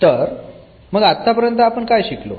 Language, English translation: Marathi, So, what we have learn